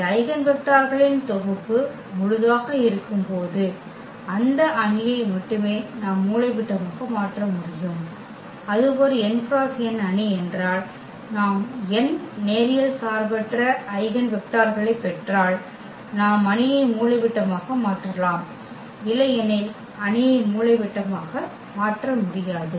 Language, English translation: Tamil, We can diagonalize only those matrices when the eigen vectors the set of this eigen vectors is full means if it is a n by n matrix then if we get n linearly independent Eigen vectors then we can diagonalize the matrix, otherwise we cannot diagonalize the matrix